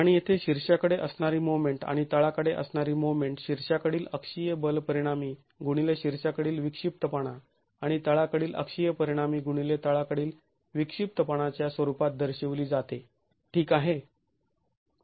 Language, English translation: Marathi, And here the moment at the top and the moment at the bottom are represented as the axial force resultant at the top into the eccentricity at the top and the axial stress resultant at the bottom into the eccentricity at the bottom itself